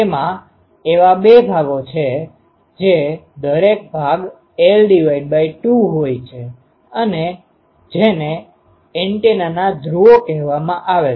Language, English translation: Gujarati, So, it is symmetrical it is have 2 such parts each part is having l by 2 these are called poles of the antenna